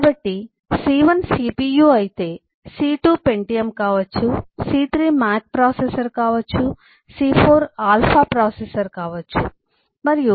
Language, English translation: Telugu, so if c1 is cpu, c2 could be pentium, c3 could be the mac processor, c4 could be the (())(10:15) and so on